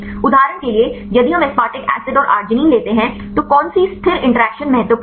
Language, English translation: Hindi, For example, if we take aspartic acid and arginine, which stable interactions are important